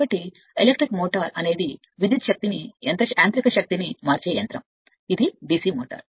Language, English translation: Telugu, So, electric motor is a machine which converts electrical energy into mechanical energy, this is DC motor